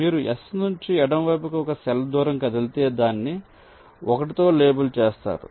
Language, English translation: Telugu, so once you have moved one cell to the left of s and label this cell as one